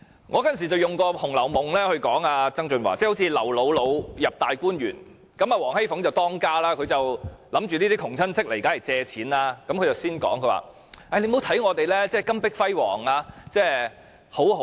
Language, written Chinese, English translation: Cantonese, 我當時用《紅樓夢》來諷刺曾俊華，好像劉姥姥進入大觀園，王熙鳳作為當家，見窮親戚到來便認定是為了借錢，便先說：你不要看我們家裏金碧輝煌、日子好像過得很好。, At that time I cited the Dreams of the Red Chamber to mock John TSANG sarcastically . I said it was like when Granny LIU entered the Grand View Gardens WANG Xifeng the controller in the family was certain that the poor cousin must be coming to ask a loan from them . WANG therefore pre - empted LIU asking her not to be fooled by the luxurious surroundings which were fallible as signs of a good life